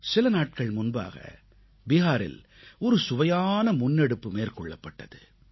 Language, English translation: Tamil, Just a while ago, Bihar launched an interesting initiative